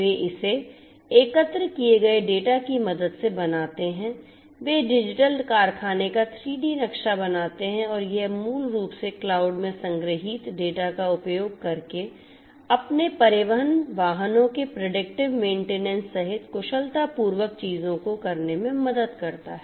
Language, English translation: Hindi, They create with the help of the data collected, they create the 3D map of the digital factory and that basically helps in doing number of things efficiently including predictive maintenance of their transport vehicles using the data that is stored in the cloud